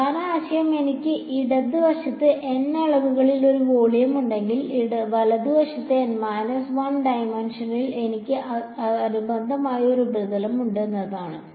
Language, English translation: Malayalam, The main idea is that if I have a volume in N dimensions on the left hand side, I have a the corresponding surface in N 1 dimension on the right hand side